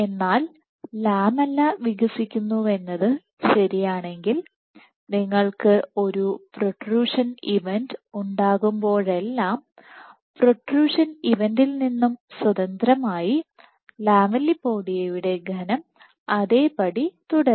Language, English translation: Malayalam, But since if this was true that the lamella is expanding then whenever you have a protrusion event independent of the protrusion event the thickness of the lamellipodia will remain the same